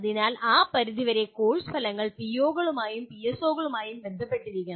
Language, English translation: Malayalam, So to that extent course outcomes have to be related to the POs and PSOs